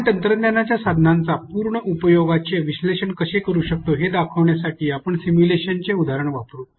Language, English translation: Marathi, Here we will use example of simulation to show you how we can analyze the affordances of a technology tool